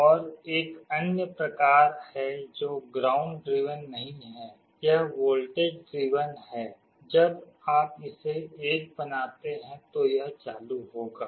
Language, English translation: Hindi, And there is another kind which is not ground driven it is voltage driven, when you make it 1 it will be on